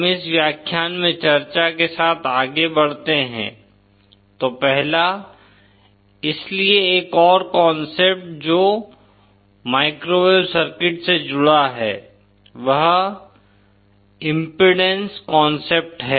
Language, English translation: Hindi, So the 1st so one more concept that is associated with microwave circuits is the concept of impedance